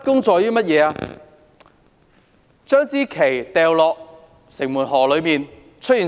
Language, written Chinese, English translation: Cantonese, 將國旗掉進城門河，結果怎樣？, What is the consequence of throwing the national flag into Shing Mun River?